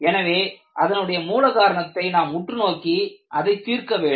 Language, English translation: Tamil, So, you have to look at what is the root cause and try to address the root cause